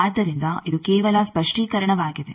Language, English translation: Kannada, So, this is just a clarification